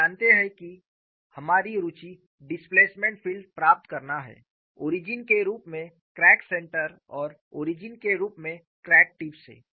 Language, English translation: Hindi, You know our interest is to get the displacement field with crack center as the origin as well as crack tip as the origin